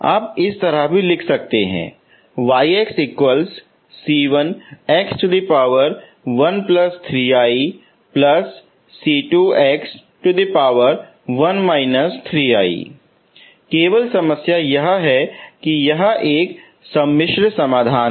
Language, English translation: Hindi, You can also write like this, only problem is this is a complex solution